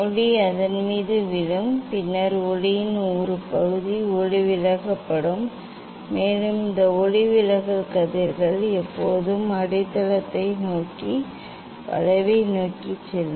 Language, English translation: Tamil, light will fall on it and then one part of the light will be refracted, and this refracted rays always goes towards the bend towards the base